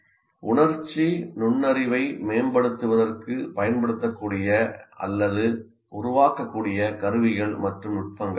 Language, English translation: Tamil, And what are the tools and techniques that are available or that can be used or to be developed for improving emotional intelligence